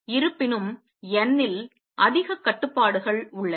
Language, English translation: Tamil, However, there are more restrictions on n